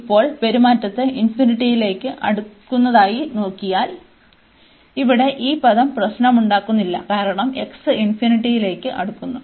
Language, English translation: Malayalam, And now if we look at the behavior as approaching to infinity, so this term here is not creating trouble, because x goes to infinity this is 1